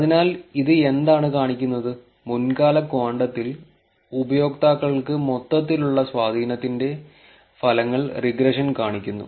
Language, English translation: Malayalam, So, what does this show, regression shows results of the overall impact to the users in previous time quantum